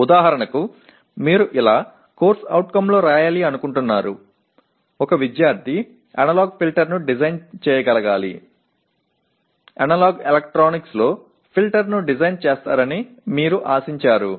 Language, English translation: Telugu, For example, let us say you want to ask, you expect the student one of the CO is design a filter in analog electronics you want to write a design in analog filter